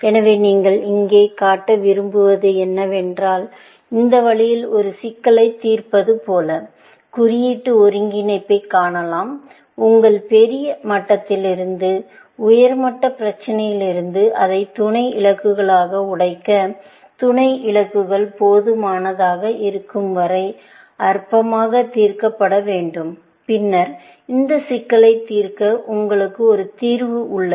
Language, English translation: Tamil, So, what you want to show here, is that symbolic integration can be seen, as solving a problem in this manner where, you reason from your large level, higher level problem to break it down into sub goals, till sub goals are simple enough, to be solved trivially, and then, you have a solution for solving this problem